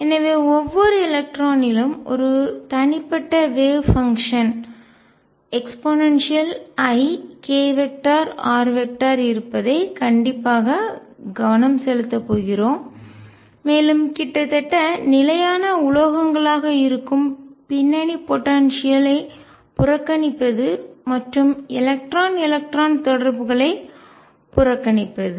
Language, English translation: Tamil, So, we are going to focus strictly on each electron having an individual wave function e raise to i k dot r, neglecting the background potential which is nearly a constant metals and neglecting the electron electron interaction